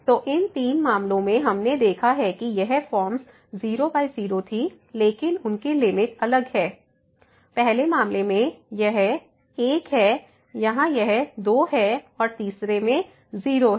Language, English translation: Hindi, So, in these all three cases we have seen that these forms were by forms, but their limits are different; in the first case it is , here it is and the third one is